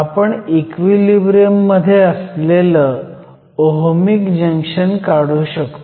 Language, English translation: Marathi, We can draw the Ohmic Junction in equilibrium